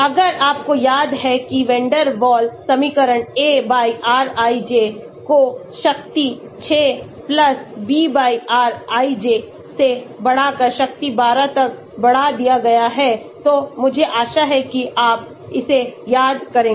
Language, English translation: Hindi, If you remember Van der Waal equation A/rij raised to the power 6 +B/rij raised to the power 12, I hope you remember that